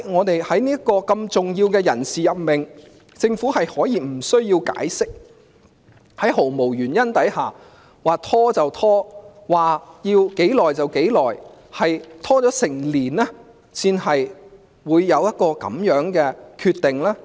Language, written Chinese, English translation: Cantonese, 為何如此重要的人事任命，政府可以無須解釋，在毫無原因之下任意拖延，拖延了整整一年才有一個這樣的決定呢？, It is an important appointment . Why did the Government not provide any reasons for the long delay in the formal appointment and why did it stall the appointment at will for a year before making the final decision?